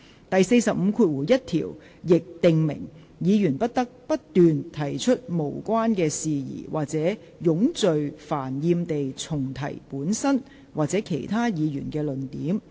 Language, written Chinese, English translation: Cantonese, 第451條亦訂明，議員不得不斷提出無關的事宜或冗贅煩厭地重提本身或其他議員的論點。, Rule 451 further provides that a Member shall not persist in irrelevance or tedious repetition of his own or other Members arguments